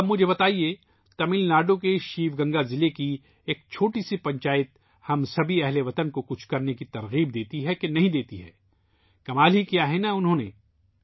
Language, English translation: Urdu, Now tell me, a small panchayat in Sivaganga district of Tamil Nadu inspires all of us countrymen to do something or not